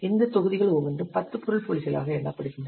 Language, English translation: Tamil, Each of these modules counts as 10 object points